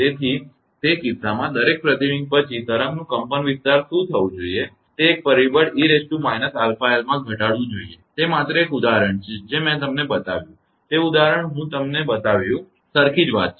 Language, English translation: Gujarati, So, in that case what will happen the amplitude of the wave after each reflection should be reduced to a factor e to the power your minus your alpha l, that just are just the example I showed you know that example I showed you, same thing right